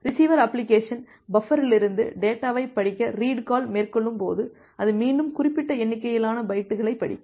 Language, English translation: Tamil, And when the receiver application will made the read call to read the data from the buffer it will again read certain number of bytes